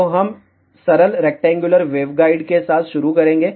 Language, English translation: Hindi, So, we will start with simple rectangular waveguide